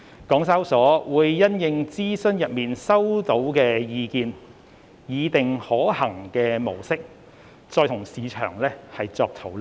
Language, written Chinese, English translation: Cantonese, 港交所會因應諮詢中收集到的意見，擬定可行的模式，與市場再作討論。, HKEx will having regard to the feedback received from the above mentioned consultation formulate a feasible model for further market engagement